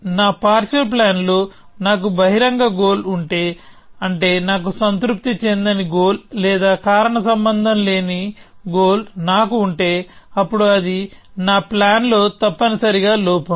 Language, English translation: Telugu, And I say if I have an open goal in my partial plan which means I have a unsatisfied goal or I have a goal which does not have a causal link, then that is a flaw in my plan essentially